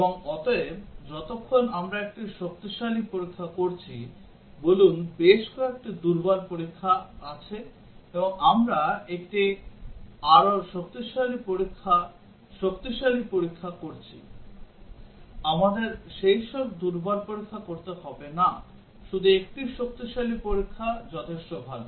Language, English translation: Bengali, And therefore, as long as we are doing a stronger testing, let say there are several weaker testing, and we are doing one stronger test strong test, we do not have to do all those weaker test, just one strong test is good enough